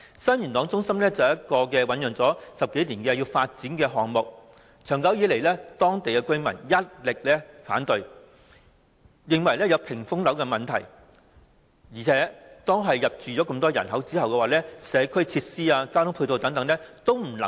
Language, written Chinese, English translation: Cantonese, 新元朗中心是一個醞釀了10多年的發展項目，長久以來，當區居民一直反對，認為有屏風樓問題，而且當大量人口入住後，社區設施和交通配套等均未能配合。, The development project of Sun Yuen Long Centre had been brewed for more than 10 years . For a long time local residents had raised opposition as they considered that those buildings would cause wall effects and the ancillary community and transport facilities were highly inadequate to meet the needs when a large number of people moved in